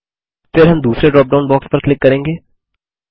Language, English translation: Hindi, Then we will click on the second dropdown box and then click on the Book Title